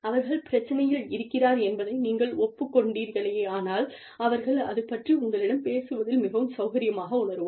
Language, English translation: Tamil, When you acknowledge, that a problem exists, the person will feel comfortable, talking to you about it